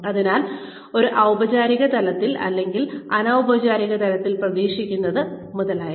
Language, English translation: Malayalam, So, what is expected on a formal level or an informal level, etcetera